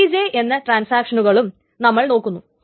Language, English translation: Malayalam, So this is for all transactions TJ